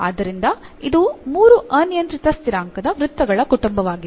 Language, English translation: Kannada, So, this is the 3 parameter family of circles